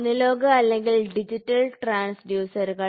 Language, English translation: Malayalam, So, you also have analogous transducer and digital transducer